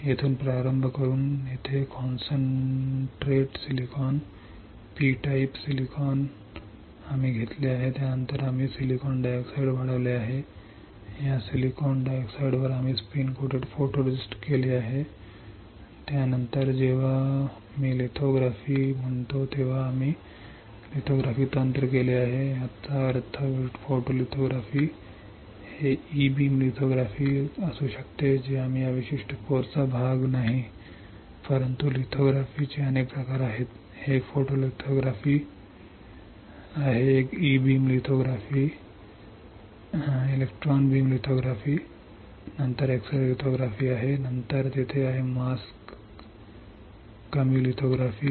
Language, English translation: Marathi, Here starting with here concentrate silicon, P type silicon we have taken then we have grown silicon dioxide right on this silicon dioxide we have spin coated photoresist, after that we have done lithography technique whenever I say lithography; that means, photolithography, it can be e beam lithography which we it is not part of this particular course, but there are several types of lithography, one is photolithography one is E beam lithography, then there is x ray lithography, then there is a mask less lithography